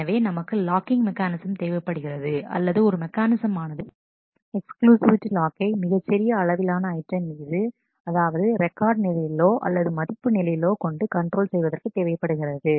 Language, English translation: Tamil, So, we need locking mechanisms, or a mechanism to control exclusivity in terms of holding locks on smaller items possibly at a record level at a value level and so on